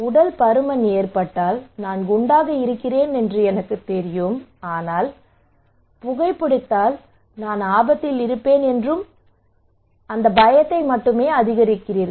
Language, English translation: Tamil, In case of obesity that I know that I am fatty, but you are not telling me you are only increasing my fear, you are only increasing my fear that if I smoke I will be at danger